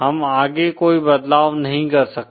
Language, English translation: Hindi, We cannot make any further changes